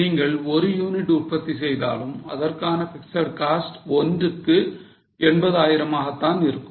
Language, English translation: Tamil, If you just produce one unit, the fixed cost will be 80,000 upon 1